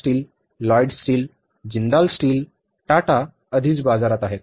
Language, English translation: Marathi, We have now the SR steel, Lloyd steel, Jindal steel, Tata is already there in the market